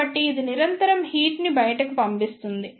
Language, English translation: Telugu, So, it will continuously dissipate the heat